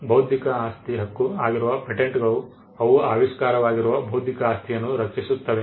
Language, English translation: Kannada, The intellectual property rights that is patents, they protect the intellectual property that is invention